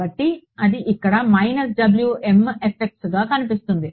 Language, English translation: Telugu, So, that appears over here as minus W m x fx